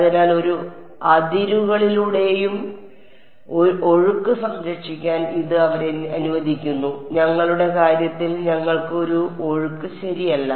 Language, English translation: Malayalam, So, that allows them to conserve flows across a boundary in our case we do not have a flow alright